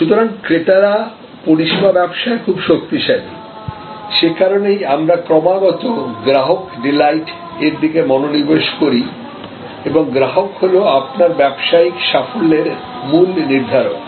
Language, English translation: Bengali, So, the buyers are very strong in service businesses, that is why we continuously focus on customer delight and customer is the key determinant of your business success